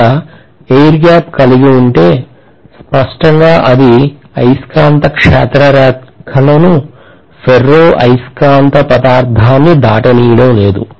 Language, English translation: Telugu, So if I am having the air gap, clearly it is not going to pass the magnetic field lines as well as the ferromagnetic material